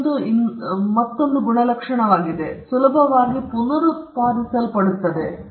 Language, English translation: Kannada, Now this is another trait, that it can be reproduced easily